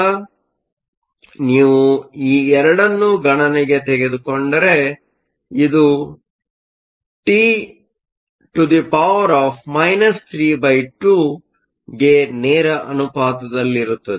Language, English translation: Kannada, So, if you take these 2 into account, which is proportional to T to the three half with the negative sign